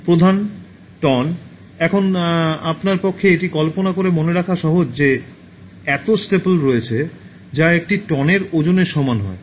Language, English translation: Bengali, Staple ton, now it is easy for you to remember by imagining that there are so many staples that weigh a ton